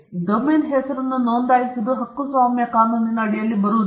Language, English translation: Kannada, Registering a domain name does not come under copyright law